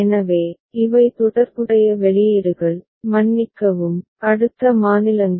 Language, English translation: Tamil, So, these are the corresponding outputs, sorry, corresponding next states